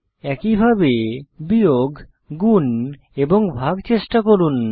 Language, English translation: Bengali, Similarly, try subtraction, multiplication and division